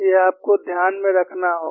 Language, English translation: Hindi, This, you will have to keep in mind